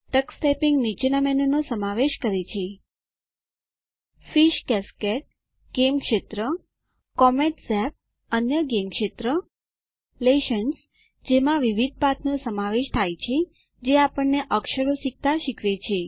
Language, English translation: Gujarati, Tux Typing comprises the following menus: Fish Cascade – A gaming zone Comet Zap – Another gaming zone Lessons – Comprises different lessons that will teach us to learn characters